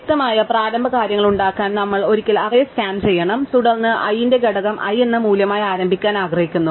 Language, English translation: Malayalam, So, clearly in order to make the initial things, we have to scan the array once, and then we just have to initialize component of I to be the value I